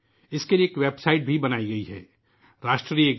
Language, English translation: Urdu, For this, a website too has been created Rashtragan